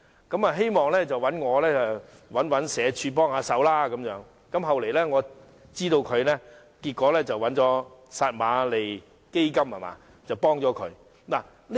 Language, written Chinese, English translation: Cantonese, 他希望我替他找社會福利署幫忙，我後來得知他最終得到撒瑪利亞基金的幫助。, He hope that I can help him to look for assistance at the Social Welfare Department . I later learned that he obtained assistance from the Samaritan Fund in the end